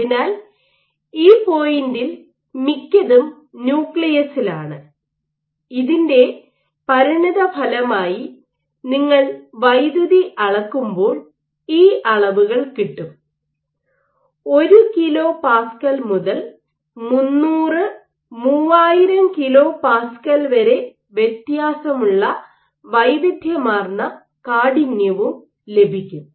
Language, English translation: Malayalam, So, most of it is in the nucleus at this point; as a consequence of this when you do measure electricity and you get these metrics you might get a wide range of stiffness varying from as low as 1 kilo Pascal to as high as 300, 3000 kilo Pascal